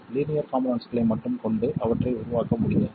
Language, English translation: Tamil, You just can't make them with only linear devices